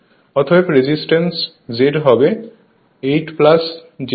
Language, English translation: Bengali, Therefore, impedance Z will be 8 plus j 6 ohm